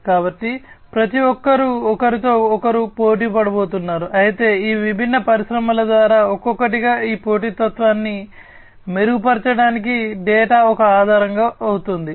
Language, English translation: Telugu, So, you know, everybody is going to compete with one another, but the data will serve as a basis for improving upon this competitiveness individually by each of these different industries